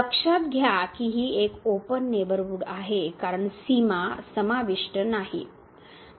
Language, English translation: Marathi, Note that this is a open neighborhood because the boundary is not included